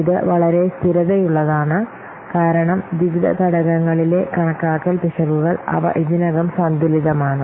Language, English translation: Malayalam, So different, it is very much stable because the estimation errors in the various components, they are already balanced